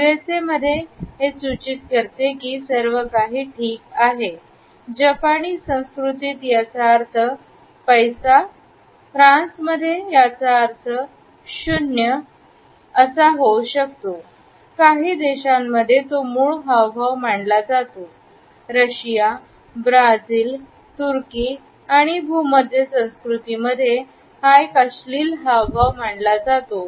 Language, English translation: Marathi, In the USA, it signals that everything is ‘okay’, in Japanese culture it means ‘money’, in France it may mean ‘zero’, in Scandinavia and certain parts of Central Europe it is considered as a vulgar gesture, in some countries it is considered to be a root gesture, in Russia, Brazil, Turkey and the Mediterranean cultures, it is considered to be an obscene gesture